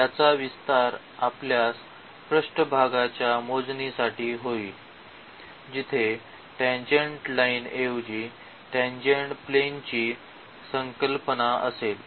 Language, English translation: Marathi, The extension of this we will have for the computation of the surface where instead of the tangent line we will have the concept of the tangent plane